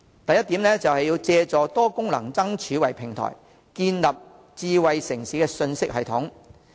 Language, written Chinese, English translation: Cantonese, 第一，借多功能燈柱為平台，建立智慧城市信息系統。, First with multi - functional lampposts as the platform an information system for a smart city should be established